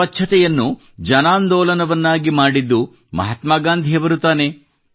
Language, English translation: Kannada, It was Mahatma Gandhi who turned cleanliness into a mass movement